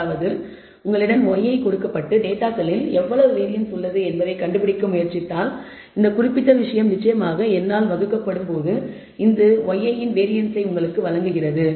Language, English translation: Tamil, That is if you are given just y i and trying to find out how much variance there it is there in the data this particular thing divided by n of course, gives you the variance of y